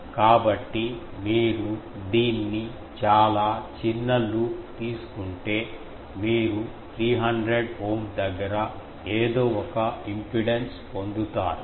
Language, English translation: Telugu, So, if you take it very small loop, then you get impedance something nearer 300 Ohm